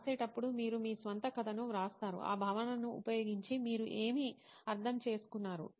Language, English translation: Telugu, Whereas in writing you write your own story what that concept what did you understand using that concept